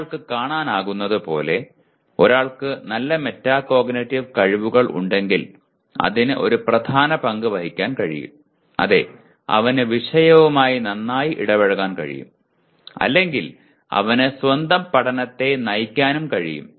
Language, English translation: Malayalam, So as one can see it can play a dominant role if one has good metacognitive skills; yes, he can/ he will engage better with the subject matter or he can also direct his own learning